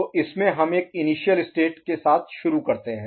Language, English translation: Hindi, So in this we begin with an initial state